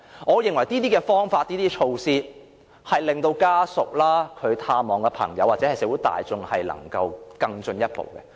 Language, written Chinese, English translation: Cantonese, 我認為這些方法和措施有助家屬、朋友或社會大眾探望時，情況可更進一步。, These practices and measures do offer good help for families friends or members of the public to better handle the matters